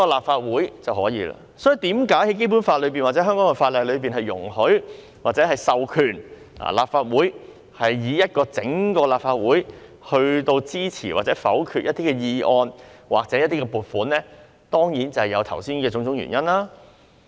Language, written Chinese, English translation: Cantonese, 所以，為何《基本法》或香港法例會授權立法會，由整體立法會一起支持或否決一些議案或撥款議案，當然就是由於剛才提到的原因。, Based on this reason the Legislative Council is vested with the power by the Basic Law or the laws of Hong Kong to discuss collectively whether to support or veto some motions or motions on appropriations . This is certainly due to the reason just mentioned